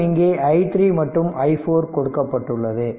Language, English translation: Tamil, So, this is i 5 and i 6 that all this things, you have to obtain